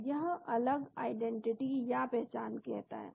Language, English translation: Hindi, So, it says different identity